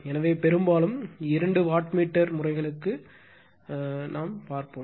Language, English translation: Tamil, So, whenever whenever you go for your two wattmeter two wattmeter method right